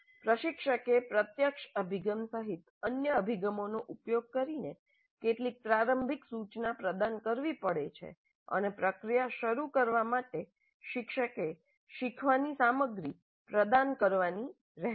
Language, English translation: Gujarati, So, instructor may have to provide some initial instruction using other approaches including direct approach to instruction and the teacher has to provide the learning materials as well to kickstart the process